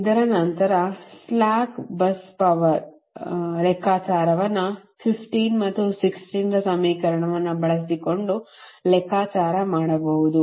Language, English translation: Kannada, slack bus power can be computed using equation fifteen and sixteen